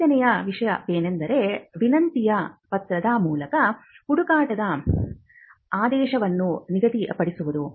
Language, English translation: Kannada, The fifth thing is to stipulate the mandate of the search through a request letter